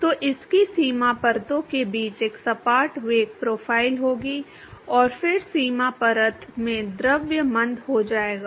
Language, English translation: Hindi, So, it will have a flat velocity profile between the boundary layers and then the fluid will be retarded in the boundary layer